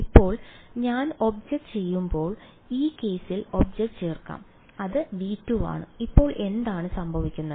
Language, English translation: Malayalam, Now when I add the object now let us add the object in this case it is V 2 so, what happens now